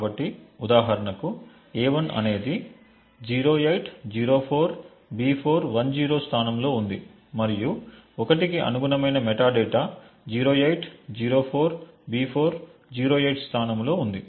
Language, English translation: Telugu, So, for example a1 is at a location 0804B410 and the metadata corresponding to a 1 is at the location 0804B408